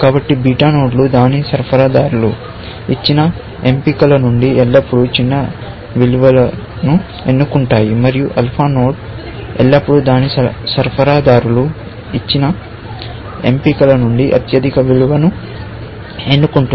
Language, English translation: Telugu, So, beta nodes always choose the smallest value, and alpha node will always choose the highest value from what its suppliers have given